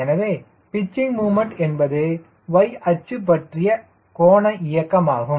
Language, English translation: Tamil, so pitching moment is a angular motion about y axis, right, this is